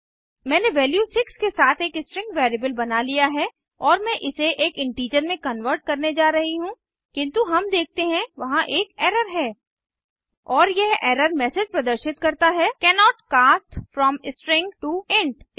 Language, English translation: Hindi, Ive created a string variable with value 6 and i am trying to convert it to an integer but we see that there is an error And the error message reads Cannot cast from String to int